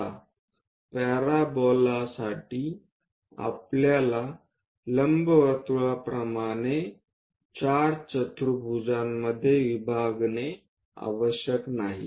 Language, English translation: Marathi, Now, for parabola, we do not have to divide into 4 quadrants like an ellipse